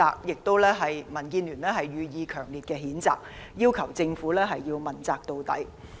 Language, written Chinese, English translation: Cantonese, 就此，民建聯對港鐵公司予以強烈譴責，要求政府必須問責到底。, In this connection DAB strongly condemns MTRCL and requests that the Government thoroughly pursue the accountability of MTRCL